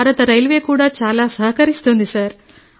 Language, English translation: Telugu, Next, Indian Railway too is supportive, sir